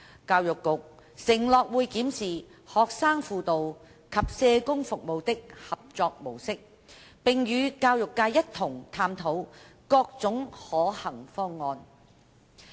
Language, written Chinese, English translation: Cantonese, 教育局承諾會檢視學生輔導及社工服務的合作模式，並與教育界一同探討各種可行方案。, The Education Bureau undertook that it would review the mode of collaboration between student guidance and social work services and explore with the education sector various feasible proposals